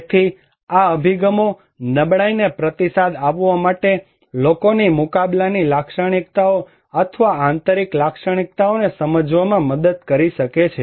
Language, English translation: Gujarati, So, these approaches can help us to understand the coping characteristics or internal characteristics of people to respond vulnerability